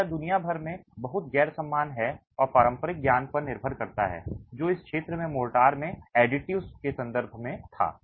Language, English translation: Hindi, So, this is very non uniform across the world and depends on traditional knowledge that region had in terms of the additives in the mortar itself